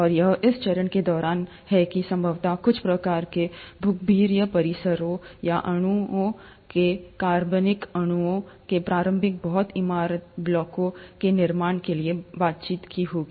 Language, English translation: Hindi, And, it is during this phase that probably some sort of geological complexes or molecules would have interacted to form the initial and the early very building blocks of organic molecules